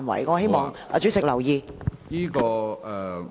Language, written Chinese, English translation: Cantonese, 我希望主席留意。, I hope that the President can pay heed to that